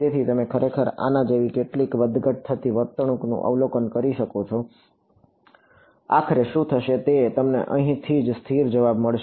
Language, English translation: Gujarati, So, you might actually observe some fluctuating behavior like this eventually what will happen is that, you get a stable answer over here right